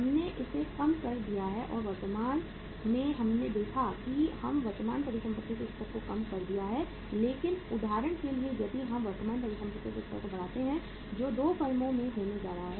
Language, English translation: Hindi, We have reduced it currently we have seen we reduced the level of current assets but for example if we increase the level of current assets what is going to happen in the 2 firms